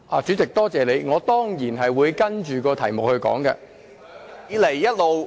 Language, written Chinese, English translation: Cantonese, 主席，多謝你，我當然會針對議題發言。, President thank you . I will certainly focus on the motion